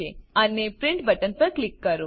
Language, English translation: Gujarati, And click on the Print button